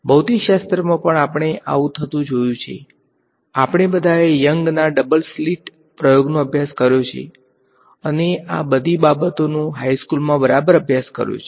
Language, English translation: Gujarati, In physics also we have seen this happen all of us have studied Young’s Double Slit experiment and all of these things in high school right